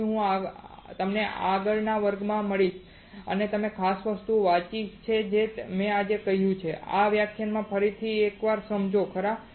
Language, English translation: Gujarati, So, I will see you in the next class you read this particular things that I have told you today understand this lecture once again right